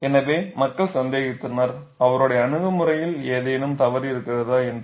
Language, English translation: Tamil, So, people are doubting, is there anything wrong in his approach